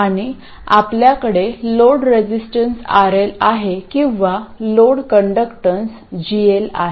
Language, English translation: Marathi, And we have a load resistance RL, or a load conductance of GL